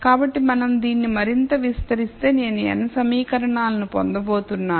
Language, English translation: Telugu, So, if we expand this further I am going to get n equations